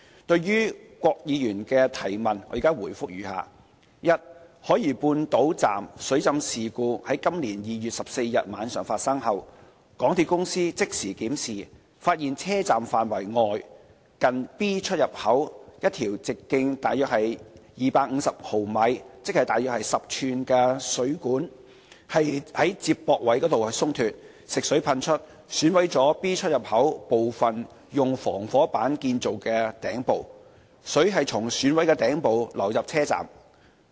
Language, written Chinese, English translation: Cantonese, 對於郭議員的質詢，我現答覆如下：一海怡半島站水浸事故今年2月14日晚上發生後，港鐵公司即時檢視，發現車站範圍外，近 B 出入口一條直徑約250毫米食水管，接駁位鬆脫，食水噴出，損毀了 B 出入口部分用防火板建造的頂部，水從損毀的頂部流入車站。, For the question raised by Mr KWOK I reply as follows 1 After the flooding incident at South Horizons Station at the night of 14 February this year MTRCL carried out inspection immediately and found that the connection of a fresh water pipe of about 250 mm in diameter and outside the station was loosened . Fresh water was ejected and damaged part of the roof of EntranceExit B constructed by fire resistance board . Water then flowed into the concourse from the damaged roof